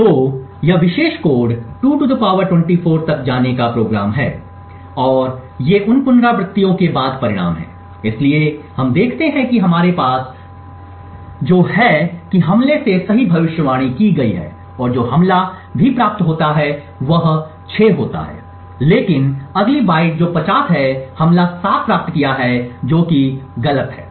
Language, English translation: Hindi, So this particular code is program to go up to 2 ^ 24 and these are the results after those iterations, so what we see is that we have this enable which has been predicted correctly by the attack this is 6 over here and what the attack also obtain is 6 however the next byte which is 50 the attack has obtained 7 which is wrong